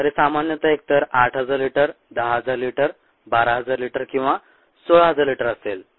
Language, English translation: Marathi, so this ah typically is either eight thousand liters, ten thousand liters, ah twelve thousand liters or sixteen thousand liters